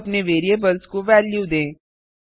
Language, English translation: Hindi, Now lets give values to our variables